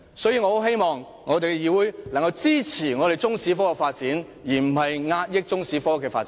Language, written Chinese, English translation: Cantonese, 所以，我希望議會能夠支持中史科的發展，而不是壓抑中史科的發展。, Hence I hope this Council will support instead of suppress the development of Chinese History